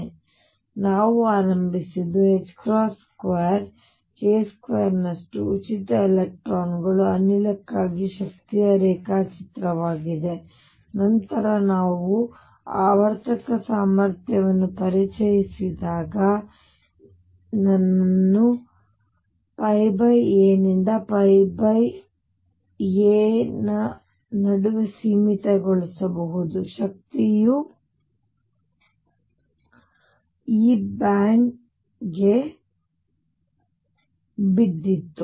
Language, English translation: Kannada, So, what we started with was the energy diagram for a free electron gas which was h cross square k square over 2 m, and then when we introduced that periodic potential I can now confine myself between minus pi by a to pi by a, the energy fell into this band